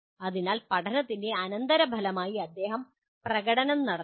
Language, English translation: Malayalam, So as a consequence of learning, he has to perform